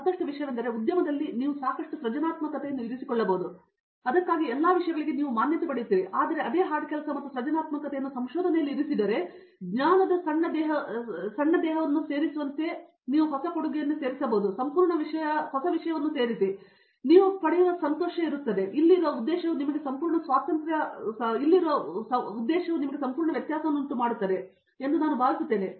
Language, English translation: Kannada, And, one more thing is in industry you can put a lot of creativity into it and you get recognition for that and all those things, but if we put the same hard work and creativity in research, but on seeing that being used by someone that small body of knowledge that you add which is new in the complete thing that little happiness that you get and you know the purpose that you are here I think that makes complete difference